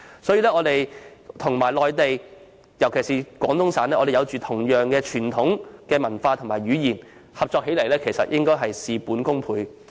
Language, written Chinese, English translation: Cantonese, 香港與內地，尤其是廣東省，擁有相同的傳統文化和語言，合作起來應會事半功倍。, Hong Kong shares the same traditional culture and language with the Mainland especially Guangdong Province and there should be a multiplier effect if the two places can cooperate and develop together